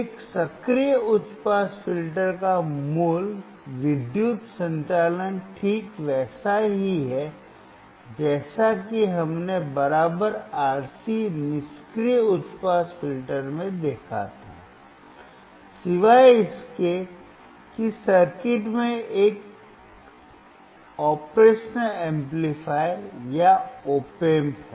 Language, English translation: Hindi, The basic electrical operation of an active high pass filter is exactly the same as we saw in the equivalent RC passive high pass filter, except that the circuit has a operational amplifier or op amp